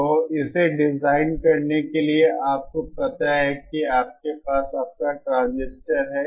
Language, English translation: Hindi, So to design it, you know you have your transistor